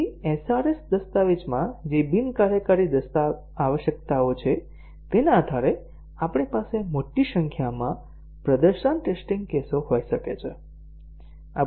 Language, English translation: Gujarati, So, depending on the non functional requirements that are there in the SRS document, we can have a large number of performance test cases